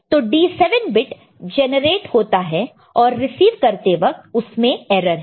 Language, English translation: Hindi, So, D 7 bit is generated, received erroneously